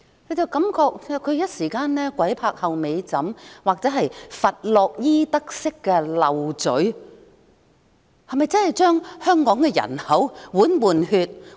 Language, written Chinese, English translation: Cantonese, 我感覺她是一時間"鬼拍後尾枕"或佛洛伊德式說漏嘴，她是否要將香港的人口換血？, Her remark sounds like a Freudian slip to me . Does she suggest replacing Hong Kong people with new immigrants?